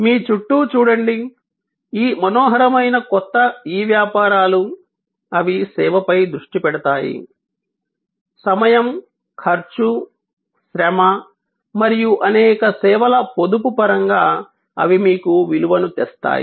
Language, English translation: Telugu, Look around you, all these fascinating new e businesses, they focus on service, they bring to you a value in terms of savings of time, cost, labour and a plethora of services